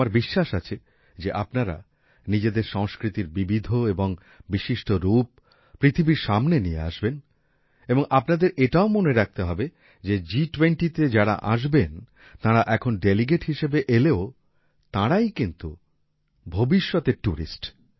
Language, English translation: Bengali, I am sure that you will bring the diverse and distinctive colors of your culture to the world and you also have to remember that the people coming to the G20, even if they come now as delegates, are tourists of the future